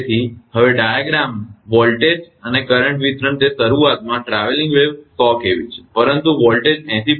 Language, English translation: Gujarati, So, now and the diagram voltage and current distribution it initially the traveling wave 100, 100 kV, but voltage 80